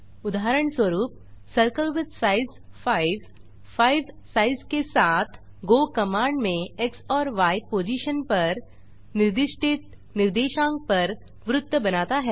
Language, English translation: Hindi, For example: circle with size 5 draws a circle with size 5 At the co ordinates specified at X and Y positions in the go command